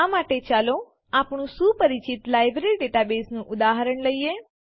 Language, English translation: Gujarati, For this, let us consider our familiar Library database example